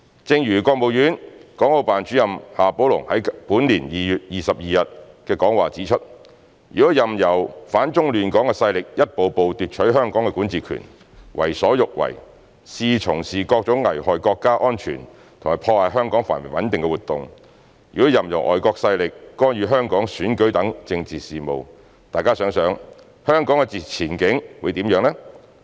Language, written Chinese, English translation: Cantonese, 正如國務院港澳辦主任夏寶龍在本年2月22日的講話指出："如果任由反中亂港勢力一步步奪取香港的管治權，為所欲為，肆意從事各種危害國家安全和破壞香港繁榮穩定的活動，如果任由外國勢力干預香港選舉等政治事務，大家想想，香港的前景會怎樣？, As Mr XIA Baolong the Director of the Hong Kong and Macao Affairs Office of the State Council pointed out in his speech on 22 February this year If the anti - China and destabilizing forces were allowed to seize the jurisdiction over Hong Kong step by step do whatever they want wantonly organize events that endanger national security and damage the prosperity and stability of Hong Kong if foreign forces were allowed to interfere in such political affairs as the elections in Hong Kong think about it what would Hong Kongs prospect be like?